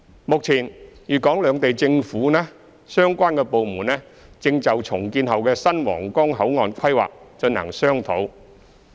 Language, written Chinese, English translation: Cantonese, 目前，粵港兩地政府相關部門正就重建後的新皇崗口岸規劃進行商討。, At present the relevant government departments of Guangdong and Hong Kong are discussing the planning for the new Huanggang Port after redevelopment